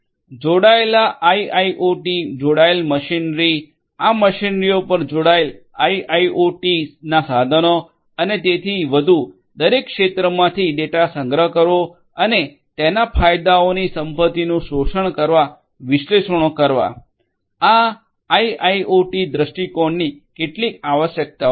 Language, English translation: Gujarati, Connected IoT, connected machinery, connected IoT devices on these machineries and so and the collection of data from each sector and performing analytics to exploit the wealth of its benefits, these are some of the requirements from IIoT perspective